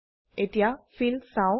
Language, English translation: Assamese, Let us go to Fill